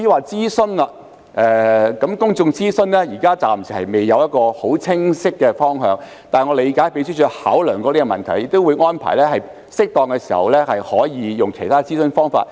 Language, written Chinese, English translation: Cantonese, 至於公眾諮詢方面，現時暫未有一個很清晰的方向，但我理解秘書處也曾考量這個問題，亦會安排在適當時候採用其他諮詢方法。, As for public consultation there is no clear direction for the time being . Yet I understand that the Secretariat has considered this issue and will arrange to use other consultation methods as appropriate